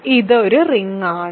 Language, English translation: Malayalam, Is this a ring